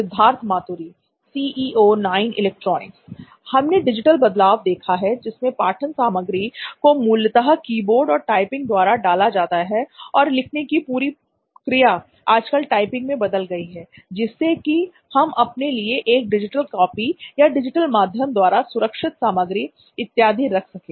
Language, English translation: Hindi, We have seen this digital transformation of entering content digitally through keyboards and typing basically, the whole activity of writing has been transformed to typing nowadays to have a digital copy or a digital saved content or something like that